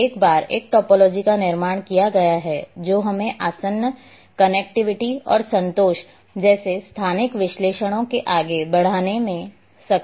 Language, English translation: Hindi, And once a topology has been constructed which also enable us to advance spatial analyses such as adjacency, connectivity, and contentment